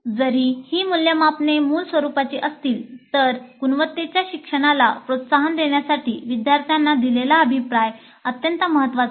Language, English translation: Marathi, Though these assessments are summative in nature, the feedback to the students is extremely important to promote quality learning